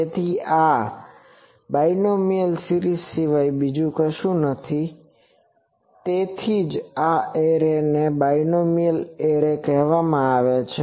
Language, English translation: Gujarati, So, this is nothing but binomial series so, that is why this array is called binomial array